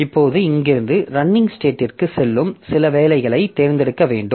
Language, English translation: Tamil, Now from here I have to select some job that will be going to the running state